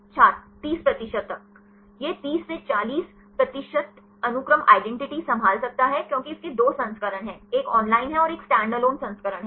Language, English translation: Hindi, upto 30 percent It can handle up to 30 to 40 percent sequence identity because it has two versions; one is online and one is the standalone version